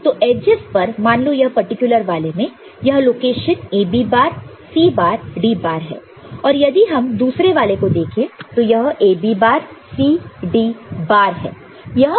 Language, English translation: Hindi, So, in the edges say this particular one, this is, this location is AB bar, C bar, D bar and you look at the other one this is this is A B bar C D bar and this one is A B bar C bar D bar